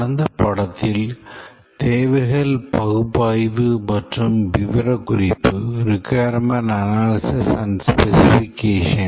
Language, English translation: Tamil, In the lecture, in the last lecture we had started to discuss about requirements analysis and specification